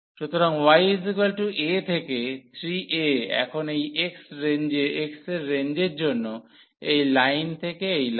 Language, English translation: Bengali, So, y is equal to a to 3 a now for the range of this x is this line to that line